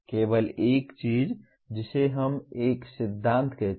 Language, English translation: Hindi, Only thing we now call it a principle